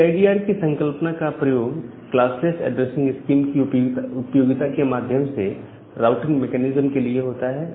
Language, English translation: Hindi, So, the CIDR is the concept used for the routing mechanism by utilizing this classless addressing scheme that we will look later on